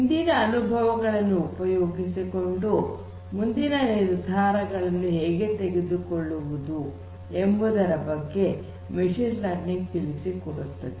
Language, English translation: Kannada, So, machine learning talks about that how you can try to harness the experience from the past and try to make decisions for the future